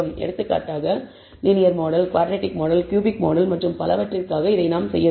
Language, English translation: Tamil, For example, we have to do this for the linear model the quadratic model the cubic model and so on so forth